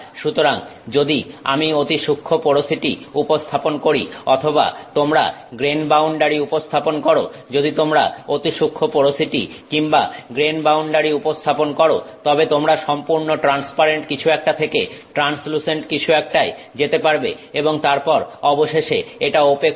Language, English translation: Bengali, If you introduce fine porosity or you introduce grain boundaries, then you will move from something that is completely transparent to something that is translucent and then eventually it becomes opaque